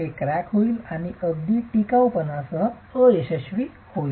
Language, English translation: Marathi, It will crack and fail with very low ductility